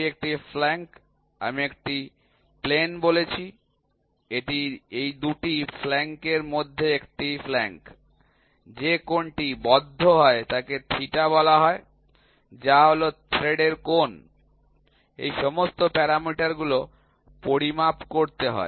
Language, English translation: Bengali, This is a flank I said a plane, this is a flank, this is a flank between these 2 flanks the angle which is subtended is called theta, which is the angle of thread all these parameters have to be measured